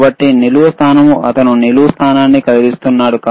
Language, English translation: Telugu, So, a vertical positioning he is moving the vertical position